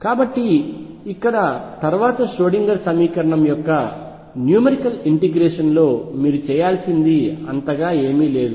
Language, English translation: Telugu, So, this is for you to practice and learn beyond this there is not really much to do in numerical integration of Schrödinger equation